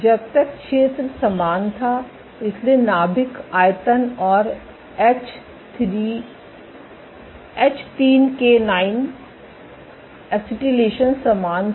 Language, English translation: Hindi, So, long as the area was same, so the nuclear volume and H3K9 acetylation was identical